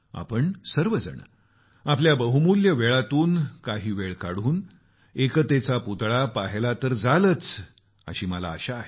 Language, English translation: Marathi, Of course I hope, that all of you will devote some of your precious time to visit the 'Statue of Unity'